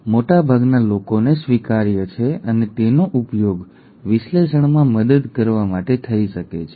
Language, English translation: Gujarati, That is that is acceptable to most and that can be used to help in the analysis